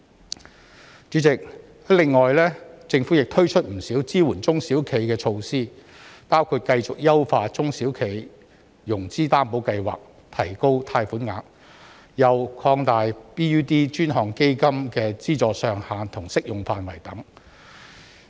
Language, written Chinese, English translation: Cantonese, 代理主席，政府亦推出了不少支援中小企的措施，包括繼續優化中小企融資擔保計劃，提高貸款額，又擴大 BUD 專項基金的資助上限和適用範圍等。, Deputy President the Government has also introduced many measures to support SMEs including continuing to enhance the SME Financing Guarantee Scheme by raising the loan amount and increasing the funding ceiling and scope of the Dedicated Fund on Branding Upgrading and Domestic Sales BUD Fund